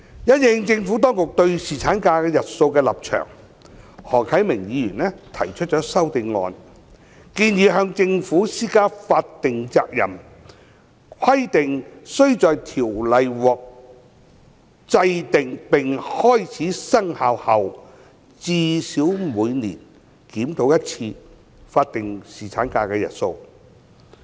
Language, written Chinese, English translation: Cantonese, 因應政府當局對侍產假日數的立場，何啟明議員提出修正案，建議向政府施加法定責任，規定須在條例獲制定並開始生效後，最少每年檢討一次法定侍產假日數。, In the light of the Administrations stance on the duration of paternity leave Mr HO Kai - ming proposed an amendment to impose a statutory obligation on the Government to review the number of paternity leave days at least once in every year after the commencement of the enacted ordinance